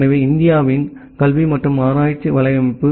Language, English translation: Tamil, So, education and research network of India